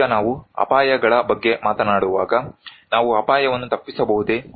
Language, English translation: Kannada, Now when we are talking about hazards, can we avoid hazard